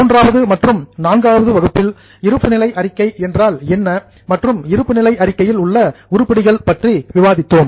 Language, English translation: Tamil, Then in our session 3 and 4 we went into what is balance sheet and what are the items in balance sheet